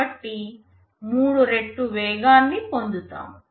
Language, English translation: Telugu, So, I am getting a 3 times speed up effectively